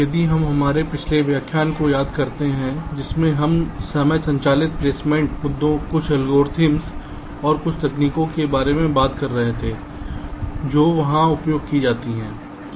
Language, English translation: Hindi, so, if you recall, in our last lecture we were talking about the timing driven placement issues, some algorithms and some techniques that are used there